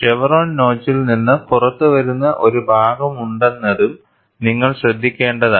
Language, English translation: Malayalam, And you should also note that, there is a portion which comes out of the chevron notch